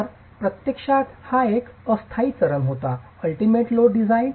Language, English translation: Marathi, So, this was a transitory phase in reality, the ultimate strength design